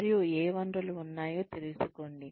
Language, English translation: Telugu, And, find out, what resources, we have